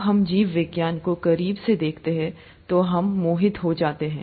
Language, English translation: Hindi, We are fascinated about when we look closer at biology